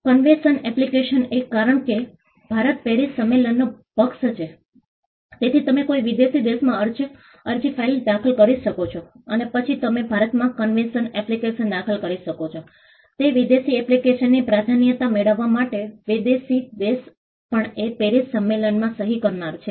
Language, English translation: Gujarati, The convention application is, because India is a party to the Paris convention, you can file an application in a foreign country and then you can file a convention application in India, seeking the priority from that foreign application, provided the foreign country is also a signatory to the Paris convention